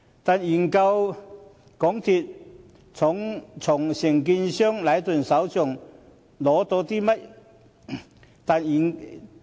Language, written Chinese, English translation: Cantonese, 但是，究竟港鐵公司從承建商禮頓手上取得甚麼資料？, However what information did MTRCL actually obtain from the contractor Leighton?